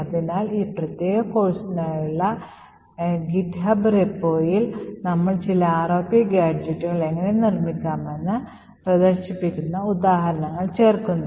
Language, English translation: Malayalam, So, in the github repo for this particular course we would be adding some ROP examples and demonstrate how ROP gadgets can be built